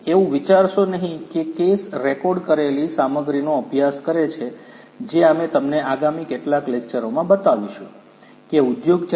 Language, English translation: Gujarati, Do not think that the case studies the recorded content that we will show you in the next few lectures will already have their advance technologies towards industry 4